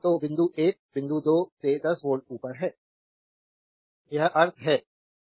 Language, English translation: Hindi, So, point meaning is point 1 is 10 volt above point 2 this is the meaning right